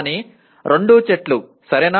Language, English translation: Telugu, But both are trees, okay